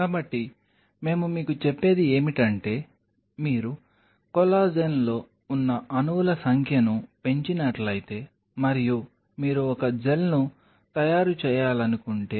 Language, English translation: Telugu, So, what we are telling you is if you increase the number of molecules out here of collagen and you wanted to make a gel